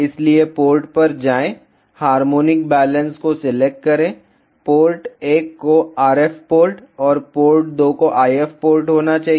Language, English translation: Hindi, So, go to ports select harmonic balance, port 1 to be the RF port and port 2 should be the IF port